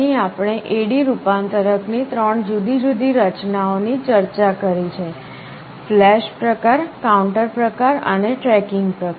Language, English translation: Gujarati, Here we have discussed three different designs of A/D conversion: flash type, counter type and tracking type